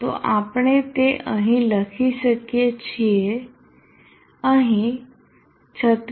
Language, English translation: Gujarati, 72 so we can write that down here 36